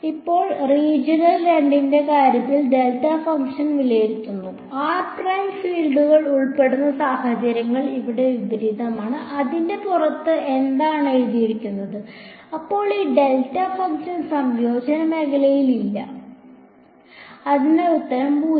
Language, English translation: Malayalam, Now evaluating the delta function in the case of region 2, again the situations reverse to here when r prime belongs to V 2 the field is phi 2; and when r prime is outside of V 2 that sits in V 1 then that delta function is not there in a region of integration, so, its answer is 0